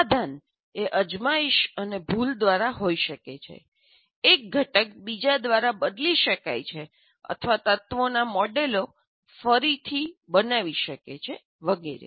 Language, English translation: Gujarati, The solution may be by trial and error or replacement of one component by another or I completely re what you call create my models of the elements and so on